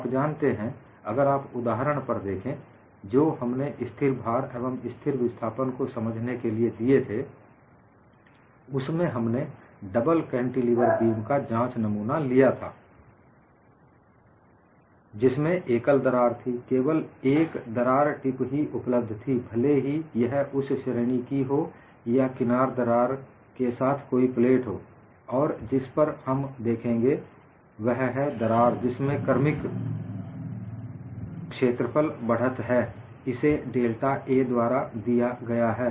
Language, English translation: Hindi, if you look at the examples that we have taken for illustrating constant load and constant displacement, we had the double cantilever beam specimen; that had a single crack; only one crack tip was available; either it could be of that category or a plate with the edge crack